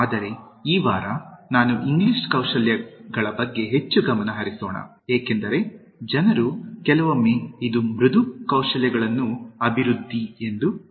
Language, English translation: Kannada, But then, this week, I said that let us focus more on English Skills because, people sometimes think that this is very close to Developing Soft Skills